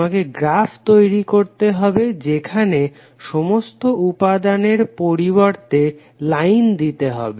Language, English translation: Bengali, You have to simply construct the graph which will replace all the elements of the network with lines